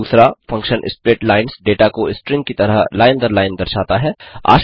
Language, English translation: Hindi, The function splitlines displays the data line by line as strings